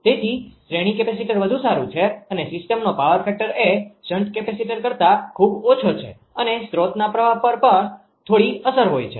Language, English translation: Gujarati, So however, a series capacitor better the system power factor much less than a shunt capacitor and a little effect on the source current